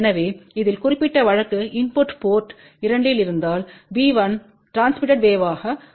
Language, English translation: Tamil, So, in this particular case if the input is at port 2, then b 1 becomes transmitted wave